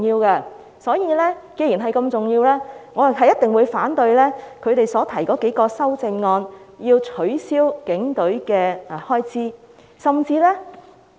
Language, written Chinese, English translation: Cantonese, 既然警隊如此重要，我一定會反對他們提出削減警隊開支的數項修正案。, Given that the Police Force is so important I will definitely oppose the several amendments proposed by those Members seeking to reduce the expenditure of the Police Force